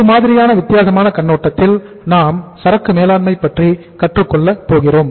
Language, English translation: Tamil, That is a different uh perspective in which we learn the inventory management